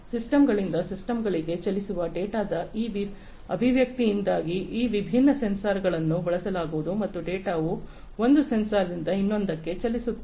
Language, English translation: Kannada, Because of this expression of data moving to systems from systems would be using these different sensors and the data will be moving from one sensor to another